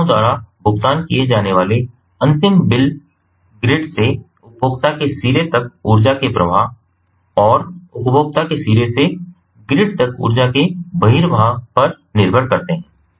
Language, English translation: Hindi, the final bills to be paid by the consumers depends on the inflow of energy from the grid to the consumer end and the outflow of energy from the consumer end to the grid